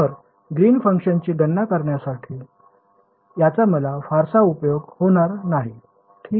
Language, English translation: Marathi, So, this is going to be of not much use for me in calculating the Green’s function right